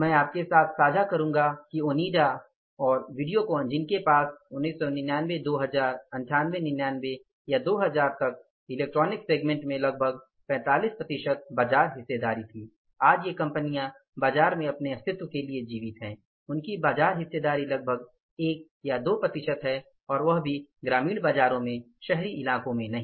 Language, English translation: Hindi, I would share with you that Onida and Videocon who had a larger market share, about 45% market share in the electronics segment was with these two companies till even 99,000 or 98 99, 2000, today these companies are surviving for their existence in the market